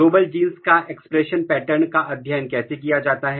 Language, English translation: Hindi, How to study the expression pattern of the Global genes